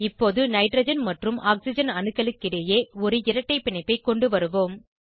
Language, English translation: Tamil, Now we will introduce a double bond between nitrogen and oxygen atom